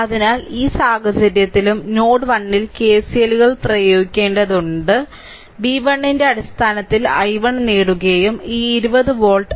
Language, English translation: Malayalam, So, in this case also you have to to apply KCLs at node 1, you have to obtain i 1 in terms of v 1 and this 20 volt, right